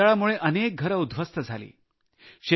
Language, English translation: Marathi, Many houses were razed by the storm